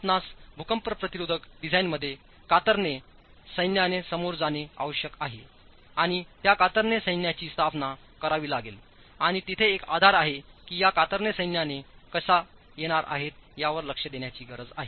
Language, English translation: Marathi, You need to deal with shear forces in your earthquake resistant design and those shear forces have to be established and there is a basis that we need to look at on how these shear forces are going to be arrived at